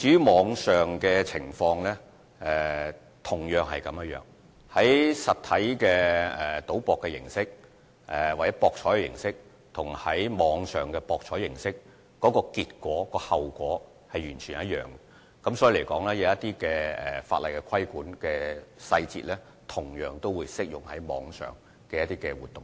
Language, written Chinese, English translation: Cantonese, 網上博彩的情況也一樣，由於實體賭博或網上博彩的結果或後果是完全一樣的，法例規管的細節同樣適用於網上活動。, The same applies to online gambling . As the results or consequences of physical gambling or online betting are exactly the same the details of regulation under the law are equally applicable to online activities